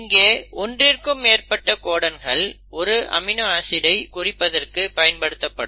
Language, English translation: Tamil, Now there is seen that the more than 1 codon can code for an amino acid